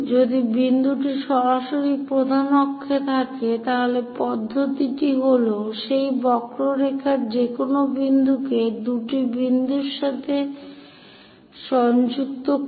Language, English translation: Bengali, If the point is straight away at major or major axis, the procedure the general procedure connect any point on that curve with two foci